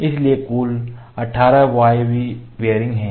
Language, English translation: Hindi, We have 18 pneumatic bearings